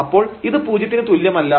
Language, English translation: Malayalam, So, in any case this is not equal to this one